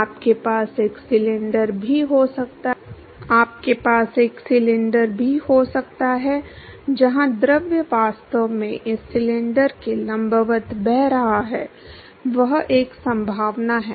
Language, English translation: Hindi, You could also have a cylinder, you also have a cylinder, where the fluid is actually flowing perpendicular to this cylinder; that is one possibility